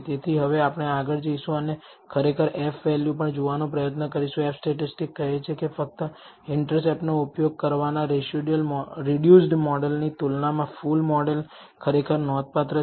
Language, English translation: Gujarati, So, now we will go ahead and try to actually look at the F value also, the F statistics says that the full model as compared to the reduced model of using only the intercept is actually significant